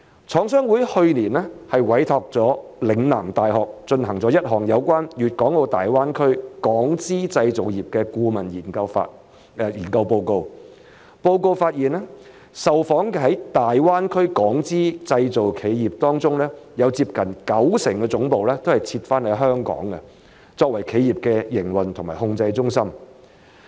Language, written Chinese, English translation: Cantonese, 廠商會去年委託了嶺南大學進行一項有關粵港澳大灣區港資製造業的顧問研究，研究報告發現受訪的在大灣區港資製造企業當中，有接近九成的總部設於香港，作為企業的營運和控制中心。, Last year CMA commissioned Lingnan University to conduct a consultancy study on the Hong Kong - invested manufacturing industry in the Greater Bay Area . The study report found that nearly 90 % of the interviewed Hong Kong - invested manufacturers in the Greater Bay Area had set up their headquarters in Hong Kong as their centres for operation and control